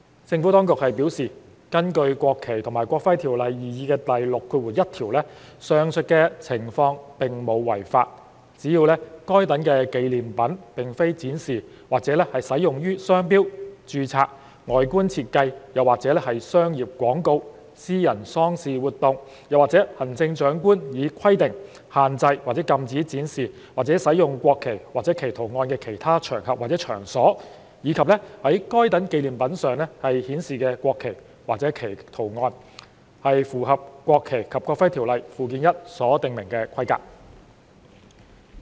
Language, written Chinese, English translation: Cantonese, 政府當局表示，根據《國旗及國徽條例》擬議第61條，上述情況並無違法，只要該等紀念品並非展示或使用於商標、註冊外觀設計或商業廣告、私人喪事活動，或行政長官以規定限制或禁止展示或使用國旗或其圖案的其他場合或場所，以及在該等紀念品上顯示的國旗或其圖案，是符合《國旗及國徽條例》附表1所訂明的規格。, As advised by the Administration the aforementioned case is not unlawful under the proposed section 61 of NFNEO as long as those souvenirs are not displayed or used in trademarks registered designs or commercial advertisements private funeral activities or other occasions on which or places at which the display or use of the national flag or its design is restricted or prohibited under the stipulations made by the Chief Executive and the national flag or its design shown on those souvenirs have followed the specifications stipulated in Schedule 1 to NFNEO